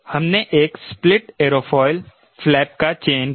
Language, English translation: Hindi, we selected a split aerofoil, a flaps